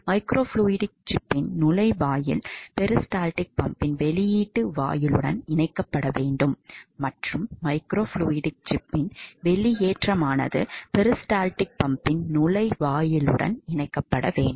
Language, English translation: Tamil, The inlet of the microfluidic chip should be connected with the outlet of the peristaltic pump and the outlet of the microfluidic chip should be connected to the inlet of the peristaltic pump